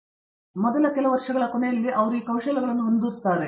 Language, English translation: Kannada, And at the end of the first few years they are well equipped with these skills